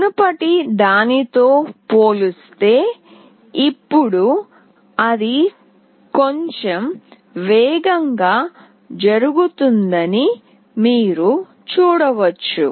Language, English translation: Telugu, Now, you can see that it is going little faster as compared to the previous one